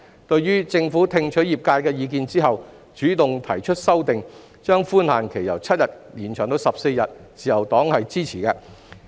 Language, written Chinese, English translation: Cantonese, 對於政府聽取業界意見後，主動提出修訂，把寬限期由7天延長至14天，自由黨是支持的。, Having listened to the views of the trades the Government takes the initiative to move an amendment to extend the grace period from 7 to 14 days and this is supported by the Liberal Party